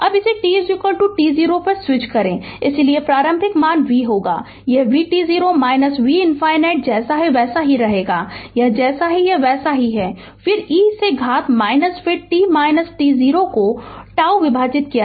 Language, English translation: Hindi, Now, switch this on at t is equal to t 0, therefore initial values will be v, it is v t 0 minus v infinity will be there as it is, it is there as it is, then e to the power minus then t minus t 0 divided by tau